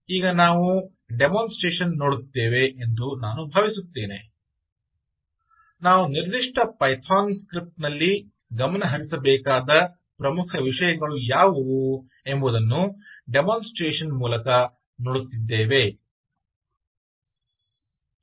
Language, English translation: Kannada, all right, so i think we will just go and see the demonstration and i will it perhaps mention to you as we do, as we go through the demonstration, what are the key things to look out in those particular python script